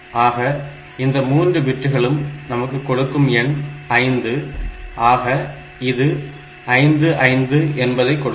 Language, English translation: Tamil, So, these 3 bits there that gives me the number of digit 5, this gives me the 55